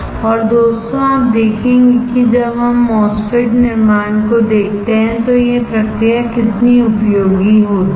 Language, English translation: Hindi, And you will see how useful this process is when we look at the MOSFET fabrication, guys